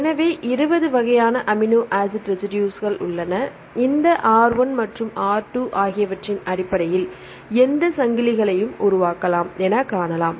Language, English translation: Tamil, So, there are 20 different types of amino acid residues right you can form any chains right based on this R 1 and the R 2